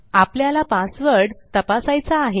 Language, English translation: Marathi, We need to check our password